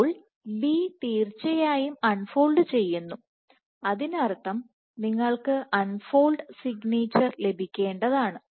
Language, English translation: Malayalam, So, B does indeed, does unfold which means that you should get some unfolding signature